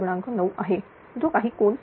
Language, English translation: Marathi, 9 right, whatever angle it comes